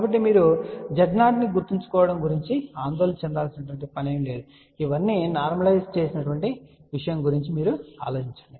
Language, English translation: Telugu, So, you do not have to worry about remembering these Z 0 or you just think about these are all normalized thing